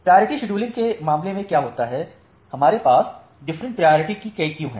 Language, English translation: Hindi, So, what happens in case of priority scheduling, we have multiple queues of different priority